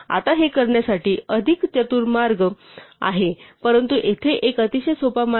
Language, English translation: Marathi, Now there are more clever ways to do this, but here is a very simple way